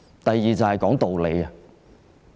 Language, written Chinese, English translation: Cantonese, 第二，便是說道理。, The second point is about reason